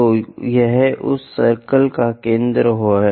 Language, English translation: Hindi, So, this is center of that circle call O